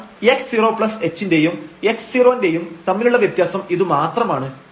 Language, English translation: Malayalam, So, this is the point here between x 0 and x 0 plus h